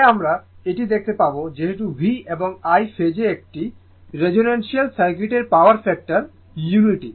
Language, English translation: Bengali, Since later will see this, since V and I are in phase the power factor of a resonant circuit is unity right